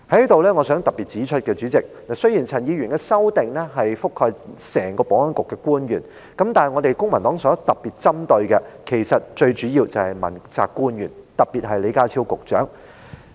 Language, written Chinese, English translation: Cantonese, 主席，我想在此特別指出，雖然陳議員的修正案覆蓋整個保安局的官員，但我們公民黨特別針對的，其實主要是問責官員，特別是李家超局長。, Chairman I wish to highlight here that although Mr CHANs amendment covers the officials throughout the Security Bureau we in the Civic Party are in fact particularly and mainly targeting principal officials especially Secretary John LEE